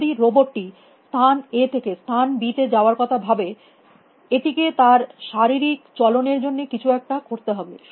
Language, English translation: Bengali, If the robot is thinking about going from place A to place B, it must do something to make their physical movement possible